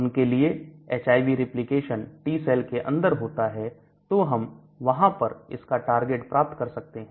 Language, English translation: Hindi, For example, HIV replication within T cells so I could target there